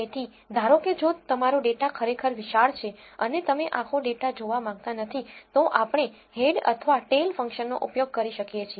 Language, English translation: Gujarati, So, say suppose if your data is really huge and you do not want to view the entire data then we can use head or tail function